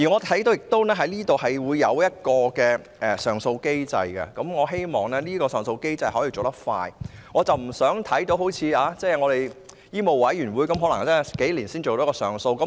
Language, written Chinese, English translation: Cantonese, 《條例草案》下也制訂了上訴機制，我希望上訴機制要有效率，不要像香港醫務委員會般數年才完成處理一宗上訴。, An appeal mechanism has also been formulated under the Bill . I hope that the appeal mechanism will operate efficiently and TIA will not as in the case of the Medical Council of Hong Kong take several years to handle an appeal case